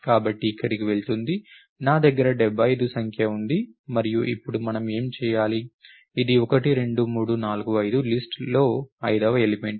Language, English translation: Telugu, So, goes over here therefore, I have the number 75 over here and what do we do now, it is the 5th element in the list 1, 2, 3, 4, 5